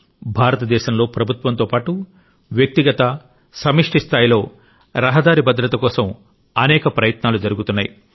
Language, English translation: Telugu, Today, in India, many efforts are being made for road safety at the individual and collective level along with the Government